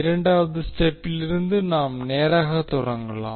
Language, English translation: Tamil, We can straight away start from second step